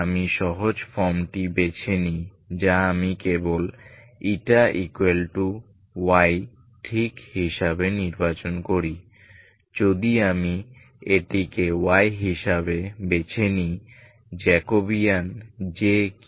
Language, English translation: Bengali, I choose the simpler form that is I simply choose as Y ok, if I choose this as Y, what is the Jacobian